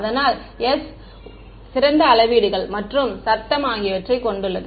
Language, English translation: Tamil, So, the s contains the ideal measurements and noise